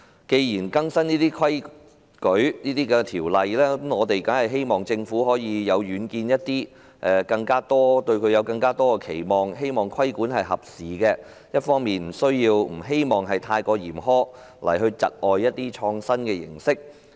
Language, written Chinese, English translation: Cantonese, 既然要更新這些規則和法例，我們當然希望政府更有遠見，我們對政府亦有更多期望，希望規管合時，又不會過於嚴苛，窒礙創新的形式。, Since rules and legislation should be updated we surely hope that the Government will be more forward looking . We also have more expectations of the Government hoping that the regulations will be relevant to the prevailing circumstances but not too stringent to impede innovations